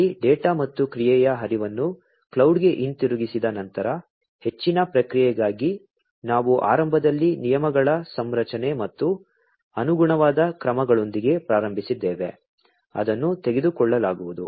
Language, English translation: Kannada, There after the data and the action flow are sent back to the cloud, for further processing, where initially we had started with the configuration of the rules and the corresponding actions, that are going to be taken